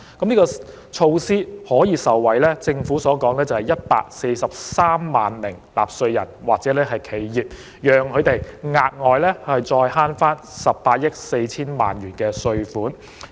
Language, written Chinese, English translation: Cantonese, 政府指出，這項措施的受惠者為143萬納稅人或企業，他們可因而額外省卻18億 4,000 萬元的稅款。, The Government pointed out that 1.43 million taxpayers or enterprises would benefit from this measure who would benefit from a further saving of 1.84 billion in taxes